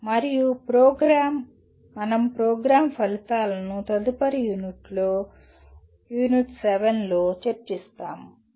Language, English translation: Telugu, And the program, we will be in the next unit U7 you will be looking at the Program Outcomes